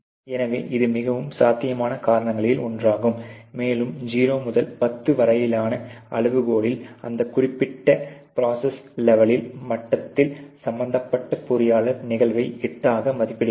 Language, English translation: Tamil, So, that is probably one of the more potential reasons, and you know 0 to 10 scale the concerned engineer at that particular process level is rated the occurrence to be at 8